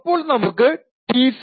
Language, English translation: Malayalam, So let us open it out T0